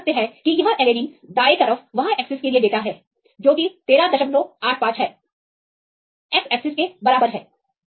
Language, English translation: Hindi, So, we can see that this is the data for alanine right y axis that is equal to 13